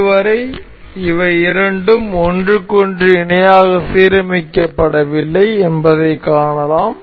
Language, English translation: Tamil, As of now we can see these two are not aligned parallel to each other